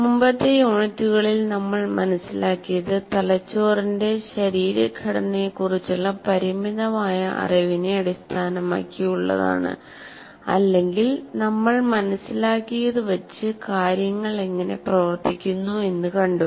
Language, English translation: Malayalam, And in this current unit or in the previous units, what we understood is based on our limited knowledge of the anatomy of the brain or how things work to whatever extent we understand